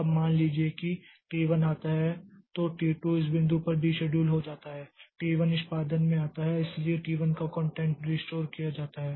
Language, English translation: Hindi, Now, after that, suppose T1 comes, so T2 gets deceduled at this point, T1 comes into execution and so T1's context is restored